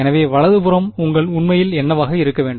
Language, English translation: Tamil, So, what should the right hand side actually be